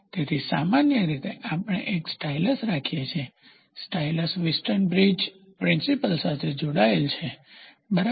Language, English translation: Gujarati, So, generally we keep a stylus, the stylus in turn is attached to the Wheatstone bridge principle, ok